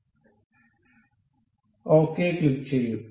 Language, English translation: Malayalam, So, we will click ok